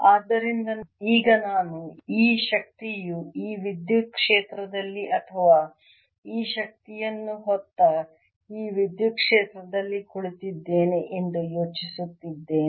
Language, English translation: Kannada, so now i am thinking of this energy being sitting in this electric field or this electric field carrying this energy